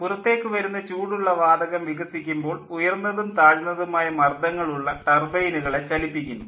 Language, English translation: Malayalam, the hot exhaust gasses expand, driving both the high and the low pressure turbines